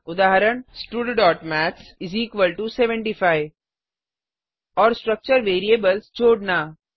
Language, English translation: Hindi, Eg: stud.maths = 75 And to add the structure variables